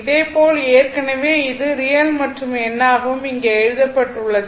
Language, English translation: Tamil, 5 degree similarly, for this one and this one already it is real and numeric it is written here